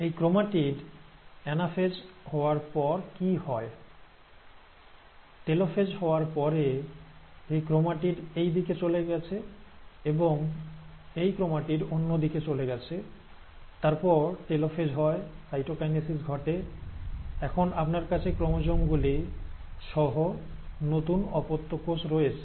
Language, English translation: Bengali, So this chromatid, so what has happened after the anaphase has taken place, after the telophase has taken place; this chromatid has gone onto this side, and this chromatid has gone onto the other side, and then the telophase happens, cytokinesis takes place, and now you have the new daughter cell with the chromosomes